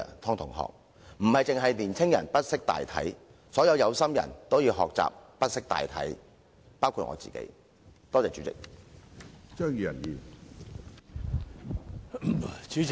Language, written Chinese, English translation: Cantonese, 湯同學，並非只有年輕人不識大體，所有有心人都要學習不識大體，包括我自己，多謝主席。, All kind - hearted people including me should learn to ignore the general interest . Thank you President